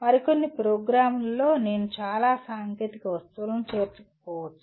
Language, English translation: Telugu, And in some other program, I may not include that many technical objects